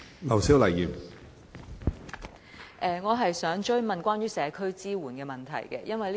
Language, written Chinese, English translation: Cantonese, 我想追問關於社區支援的問題。, I would like to follow up on the problem of community support